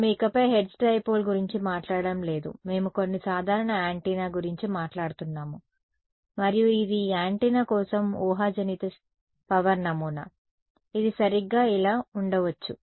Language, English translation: Telugu, We are not we are no longer talking about the hertz dipole we are talking about some general antenna and this is a hypothetical power pattern for this antenna, it might look like this right so, this